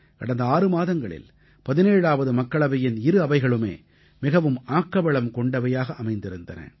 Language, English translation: Tamil, In the last 6 months, both the sessions of the 17th Lok Sabha have been very productive